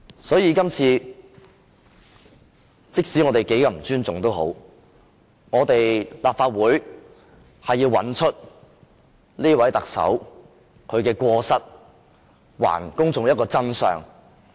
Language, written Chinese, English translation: Cantonese, 所以，我們要依賴立法會的權力，找出這位特首的過失，還公眾一個真相。, Thus we have to rely on the power of the Legislative Council to find out the faults of this Chief Executive so as to tell the public the truth